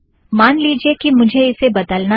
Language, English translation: Hindi, Lets say that we want to change this